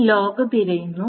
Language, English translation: Malayalam, The log is being searched